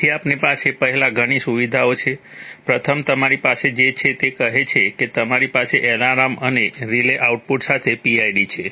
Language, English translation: Gujarati, So we first have, we have several features, first with that, you have, it says that you have PID with alarm and relay outputs